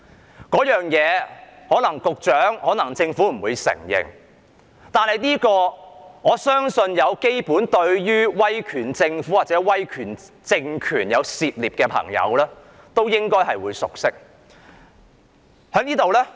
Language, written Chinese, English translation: Cantonese, 這個理念可能不為局長和政府所承認，但我相信對於威權政府或威權政權有基本涉獵的朋友都應該會熟悉。, This idea might not be admitted by the Secretary and the Government but I am convinced that people who have some knowledge about the authoritarian government or regime will be familiar with the idea